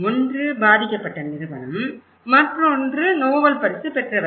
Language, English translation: Tamil, One is the company itself, who were affected and other one is a group of Nobel laureate